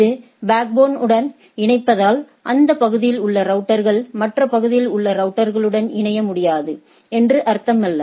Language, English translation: Tamil, This connecting to the backbone does not mean that the area the routers in the area cannot connect to the routers in the other area